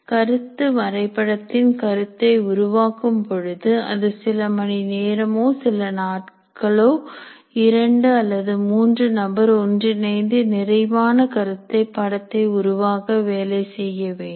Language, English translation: Tamil, While creating the concept map is, it takes time, it takes a few hours or maybe a few days for two or three people to work together and create a satisfactory concept map